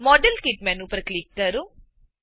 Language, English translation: Gujarati, Click on modelkit menu